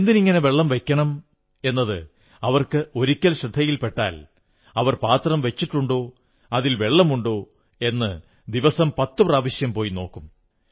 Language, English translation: Malayalam, Once they understand why they should fill the pots with water they would go and inspect 10 times in a day to ensure there is water in the tray